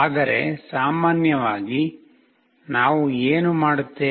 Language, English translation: Kannada, But in general case, what we will be doing